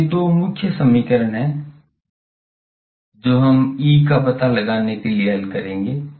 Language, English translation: Hindi, Now, these are the two main equations that we will solve to find out E